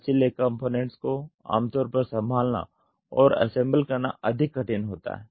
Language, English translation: Hindi, The flexible components are generally more difficult to handle them and assemble